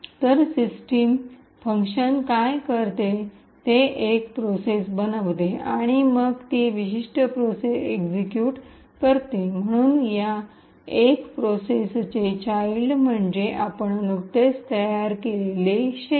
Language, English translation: Marathi, So, what the system function does is that it forks a process and then executes that particular process, so essentially the child of this one process is the shell that we have just created